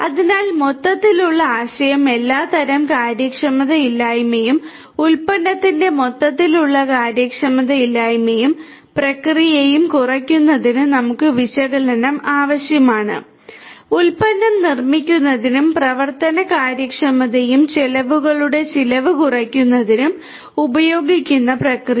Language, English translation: Malayalam, So, the overall idea is we need analytics for reducing inefficiencies of all sorts, overall inefficiency of the product, the process; the process that is being used in order to manufacture the product and the operational efficiency and the expense reduction of the expenses